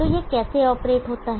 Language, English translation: Hindi, So how does this operate